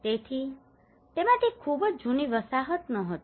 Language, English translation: Gujarati, So from it was not a very old settlement as such